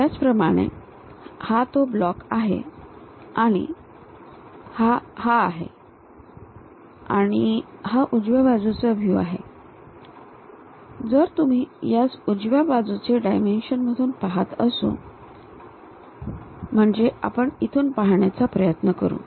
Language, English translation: Marathi, Similarly, this block is that and this one is that and right side view if you are looking at it, from right side dimensions we will try to look at